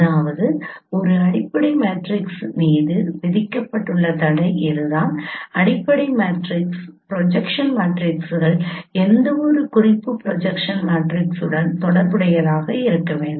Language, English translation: Tamil, So that is a constraint imposed on a fundamental matrix that no given that fundamental matrix projection matrices should be related given any reference projection matrix